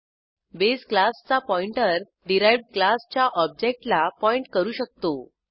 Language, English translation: Marathi, Pointer of base class can point to the object of the derived class